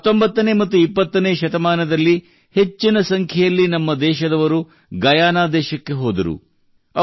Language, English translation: Kannada, In the 19th and 20th centuries, a large number of people from here went to Guyana